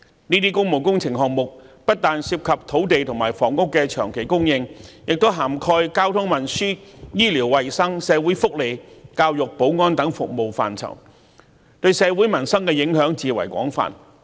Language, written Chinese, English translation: Cantonese, 這些工務工程項目不但涉及土地及房屋的長期供應，亦涵蓋交通運輸、醫療衞生、社會福利、教育、保安等服務範疇，對社會民生的影響至為廣泛。, This has seriously delayed the scrutiny of public works projects . These public works projects involve the long - term supply of land and housing as well as service areas like transport medical and health social welfare education security etc . They have an extensive impact on society and peoples livelihood